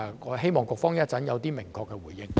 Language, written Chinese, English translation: Cantonese, 我希望局方稍後作出明確的回應。, I hope the Bureau will give us a clear response later on